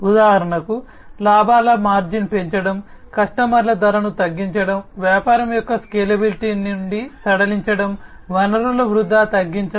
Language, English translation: Telugu, You know for example, increasing the profit margin, reducing the price of the customers, easing out of the scalability of the business, reducing the wastage of resources